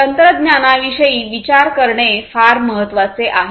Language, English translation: Marathi, So, technology considerations are very important